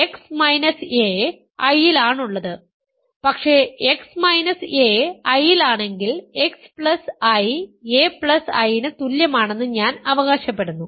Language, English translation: Malayalam, X minus a is in I, but if x minus a is in I, I claim that x plus I is equal to a plus I